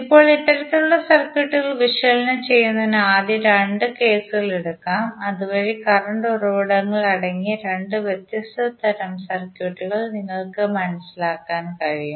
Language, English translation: Malayalam, Now, to analyze these kind of two circuits let us take two examples rather let us take two cases first so that you can understand two different types of circuits containing the current sources